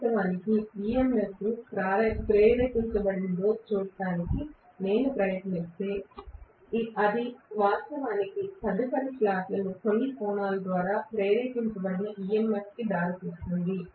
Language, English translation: Telugu, Okay, if I try to look at actually how much is the EMF induced in this that will be actually leading the EMF induced in the next slot by certain angle